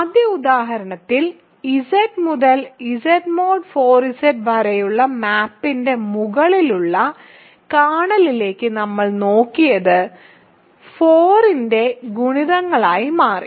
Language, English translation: Malayalam, In the first example, that we looked at above kernel of the map from Z to Z mod 4 Z turned out to be multiples of 4